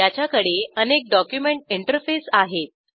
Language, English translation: Marathi, It has a multiple document interface